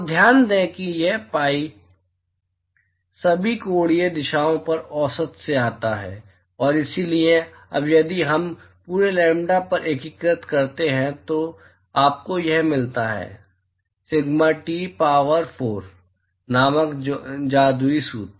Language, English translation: Hindi, So, note that, this pi comes from the, averaging over all the angular directions, and so, now, if we integrate over whole lambda, what you get is this, magical formula called sigma T power four